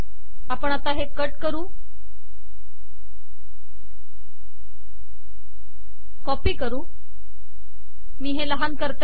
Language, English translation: Marathi, We will cut this, copy, let me minimize this